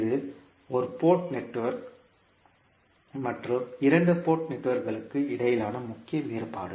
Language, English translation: Tamil, So, this is the major difference between one port network and two port network